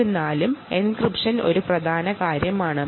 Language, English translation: Malayalam, nevertheless, encryption is an important thing